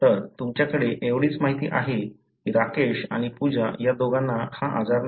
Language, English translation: Marathi, So, the only information that you have is that, these two, Rakesh and Pooja, they don’t have the disease